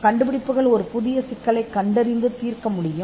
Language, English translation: Tamil, And inventions can also identify and solve a brand new problem